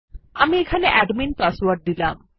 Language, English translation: Bengali, I will give the Admin password here and Enter